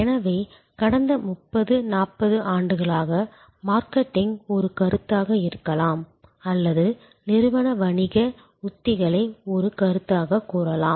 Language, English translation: Tamil, So, in the past I would say maybe for the past 30, 40 years marketing as a concept or even organizational business strategies as a concept